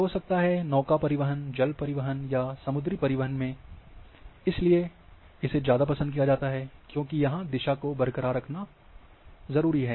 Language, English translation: Hindi, So, may be in navigation, and water navigation or sea navigation they prefer, because they want to keep the direction intact